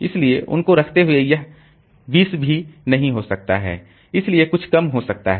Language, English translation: Hindi, So, this may not be 20 may be something less than that